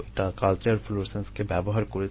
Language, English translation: Bengali, so that is, using culture florescence